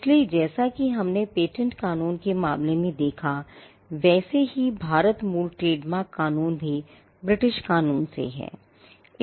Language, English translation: Hindi, So, we will see just as we had in the case of Patent Law, the origin of Indian Trademark Law is also from British Statutes